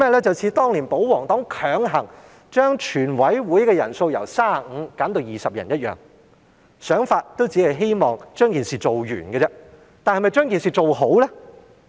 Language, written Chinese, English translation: Cantonese, 便是像保皇黨當年強行把全委會人數由35人減至20人般，他們的想法也只是希望把事情做完，但是否把事情做好了呢？, It just looks like the pro - government partys pushing through the reduction of the number of Members required to constitute a quorum in the committee of the whole Council from 35 to 20 . The only thing they have in mind is to get the job done but did they get the job done properly?